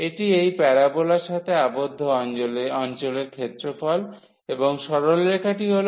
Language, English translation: Bengali, This is the area of the region bounded by this parabola and the straight line y is equal to x